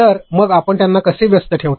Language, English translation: Marathi, So, how do you keep them engaged